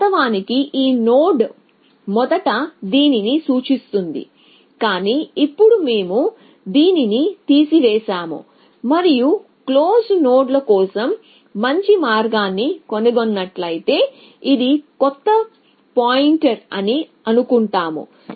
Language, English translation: Telugu, Originally this node first pointing to this, but now we have removed this and we have said this is a new pointer if we have found a better path likewise for close nodes essentially